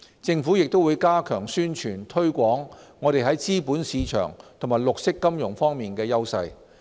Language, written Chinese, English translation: Cantonese, 政府也會加強宣傳推廣我們在資本市場和綠色金融方面的優勢。, We would also strengthen efforts to publicize Hong Kongs competitive capital markets and highlight our edge in developing green financial products